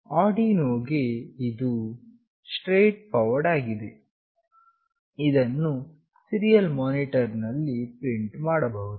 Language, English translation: Kannada, For Arduino, it is straightforward it can be printed in the serial monitor